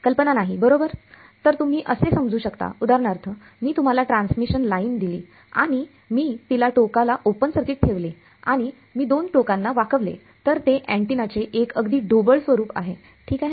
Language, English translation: Marathi, No idea right so, you might assume, for example, take a transmission line if I take if I give you a transmission line and I keep it open circuited at the end and if I bend the two ends that is one very crude form of an antenna ok